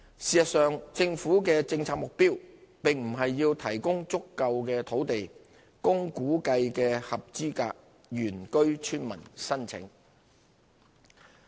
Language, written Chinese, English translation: Cantonese, 事實上，政府的政策目標並不是要提供足夠的土地供估計的合資格原居村民申請。, As a matter of fact it is not the Governments policy objective to provide adequate land to cater for applications by the estimated number of eligible indigenous villagers